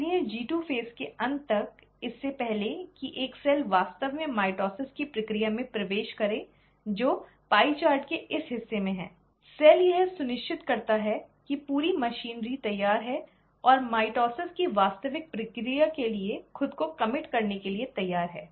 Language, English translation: Hindi, So by the end of G2 phase, before a cell actually enters the process of mitosis which is in this part of the pie chart, the cell ensures that the entire machinery is ready and is willing to commit itself to the actual process of mitosis